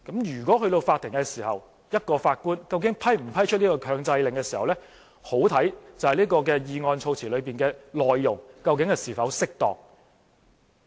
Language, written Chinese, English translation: Cantonese, 如果是在法庭，法官是否批出一個強制令，便相當視乎議案措辭的內容是否適當。, If this motion was taken to the Court whether the judge would approve issuance of an injunction would depend very much on whether the content of the wording is appropriate or not